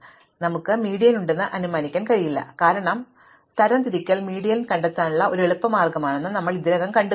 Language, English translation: Malayalam, So, we cannot assume that we have the median, because we have already seen that sorting is an easy way to find the median